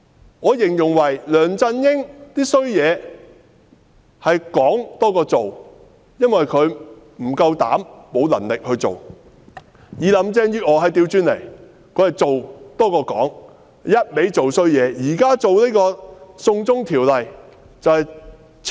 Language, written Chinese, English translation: Cantonese, 我會這樣形容：梁振英的壞事，是說多於做，因為他不夠膽量，沒有能力做；而林鄭月娥則是做多於說，她只管做壞事。, I will put it this way LEUNG Chun - ying did more bragging than actually doing bad deeds for he lacks the courage and ability; but Carrie LAM has done more bad deeds than talking about them